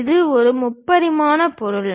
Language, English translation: Tamil, It is a three dimensional object made with material